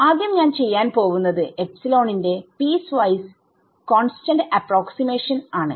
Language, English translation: Malayalam, So, first of all I what I do is I do a piecewise constant approximation of epsilon